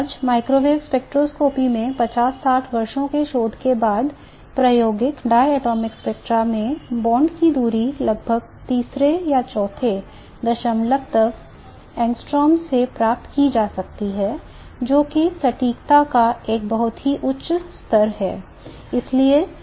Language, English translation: Hindi, Today, after 50, 60 years of research in microwave spectroscopy, one can get the bond distances in experimental diatomic spectra up to about the third or the fourth decimal in angstroms, which is a very, very high level of accuracy